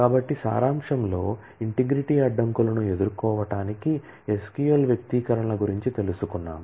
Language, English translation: Telugu, So, in summary, we have learnt about SQL expressions to deal with integrity constraints